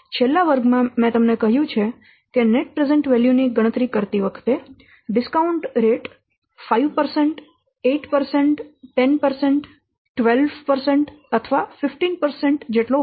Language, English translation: Gujarati, So, in the last class I have already told you while calculating the net present value, we are considering different discount rates such as 5%, 8%, 10%, 12%, or 15%, things like that